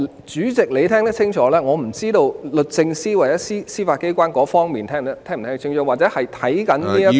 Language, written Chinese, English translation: Cantonese, 主席，你可能聽得清楚，但我不知道律政司或司法機構有否聽清楚，或者正在收看的......, Chairman while you may have listened to me clearly I do not know whether the Department of Justice or the Judiciary is clear about my viewpoint